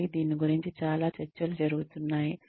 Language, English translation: Telugu, Again, there is a lot of debate going on, about this